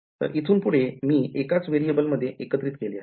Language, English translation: Marathi, So, now from here, I have combined I have merged into one variable